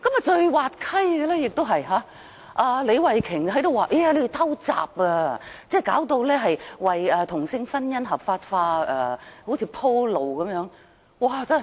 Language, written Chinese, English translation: Cantonese, 最滑稽的是李慧琼議員說我們"偷襲"，好像要為同性婚姻合法化"鋪路"般。, Most ridiculously Ms Starry LEE accused us of springing a surprise attack saying that we seemingly wanted to pave the way for the legalization of same - sex marriage